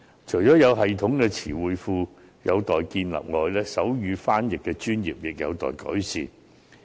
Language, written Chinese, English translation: Cantonese, 除了有系統的詞彙庫有待建立外，手語傳譯的專業亦有待確立。, Apart from the need to establish a systematic database there is also the need to establish sign language interpretation as a profession